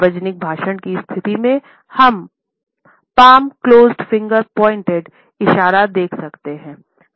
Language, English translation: Hindi, In public speech situation, we also come across the palm closed finger pointed gesture